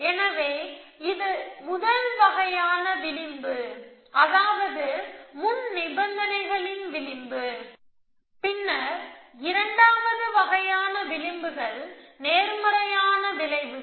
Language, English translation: Tamil, So, this is a first kind of links we have been edges, we have maintained the precondition edges then the second kind of edges are positive effects